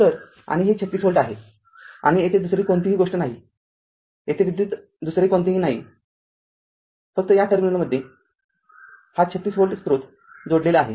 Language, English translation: Marathi, So, and this is 36 volt and this is no other thing is there this is no electrical other just just in between these terminal this 36 volt source is connected